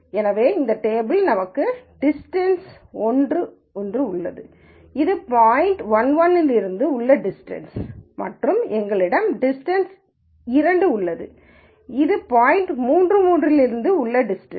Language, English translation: Tamil, So, in this table we have distance one, which is the distance from the point 1 1 and we have distance two, which is the distance from the point 3 3